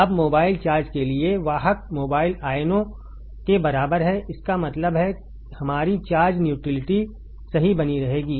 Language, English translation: Hindi, Now, for mobile charge carrier is equal to the in mobile ions so; that means, our charge neutrality will be maintained correct